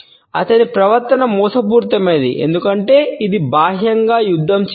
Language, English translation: Telugu, His demeanour is deceptive, precisely because it does not appear outwardly belligerent